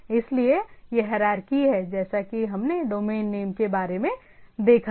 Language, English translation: Hindi, So, this is the hierarchy as we have seen of the domain names